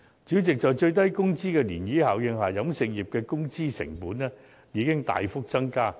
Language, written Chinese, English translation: Cantonese, 主席，在最低工資的漣漪效應下，飲食業的工資成本已大幅增加。, President due to the ripple effect of the minimum wage the wage cost of the catering industry has increased significantly